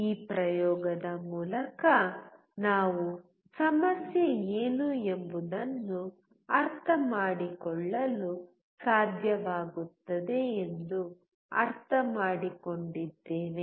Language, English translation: Kannada, Through this experiment we have understood that we should be able to understand what the problem is